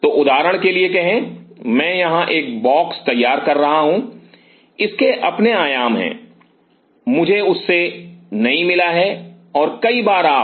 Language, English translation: Hindi, So, say for example, I am drawing a box here it has it is own dimensions I am not getting with that and many a times you